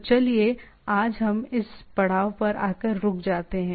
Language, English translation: Hindi, So let us stop at this stage today